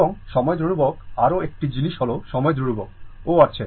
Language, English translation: Bengali, And time constant; one more thing is there time constant is also there, right